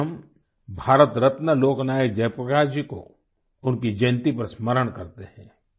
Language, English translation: Hindi, This day, we remember Bharat Ratna Lok Nayak Jayaprakash Narayan ji on his birth anniversary